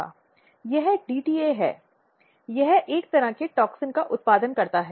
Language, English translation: Hindi, This DTA is basically it produce a kind of toxin